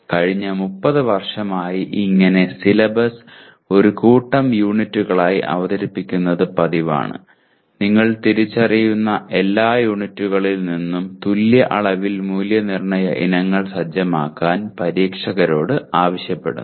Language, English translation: Malayalam, This has been the practice for almost last 30 years where syllabus is presented as a set of units and you essentially and then you ask the examination, the examiners to set assessment items equally of equal weightage from all the identified units